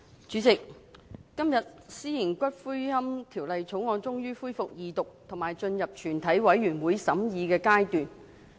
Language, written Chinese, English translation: Cantonese, 主席，今天《私營骨灰安置所條例草案》終於恢復二讀，以及進入全體委員會審議階段。, Chairman finally the Second Reading of the Private Columbaria Bill the Bill is resumed today and the Committee stage will follow